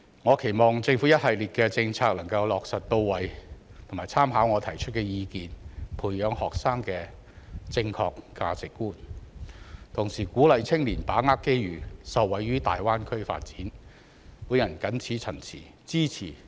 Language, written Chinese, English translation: Cantonese, 我期望政府能把一系列的政策落實到位，並參考我提出的意見，培養學生的正確價值觀；同時鼓勵年輕人把握機遇，從大灣區發展中受惠。, I hope that the Government will put in place a series of policies and take on board my suggestion by fostering the right values in students while encouraging young people to seize the opportunities and benefit from the development of the Greater Bay Area